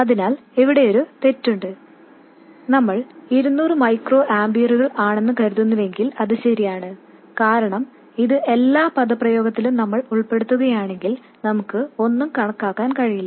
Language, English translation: Malayalam, So, there is an error if we assume 200 microamperors but that's okay because if we include this in every expression we won't be able to calculate anything at all